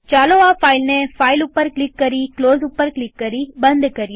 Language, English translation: Gujarati, Lets close this file by clicking on file and close